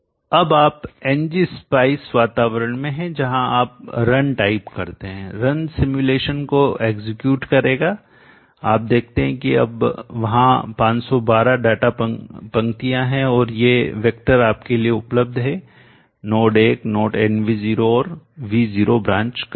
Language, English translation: Hindi, say R that is it for you are now into the ng spice environment you type a one run will execute the simulation you see that now there are a financial data course and these are the vector available to you node one node nvo and V0 branch current